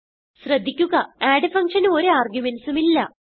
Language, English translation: Malayalam, Note that add function is without any arguments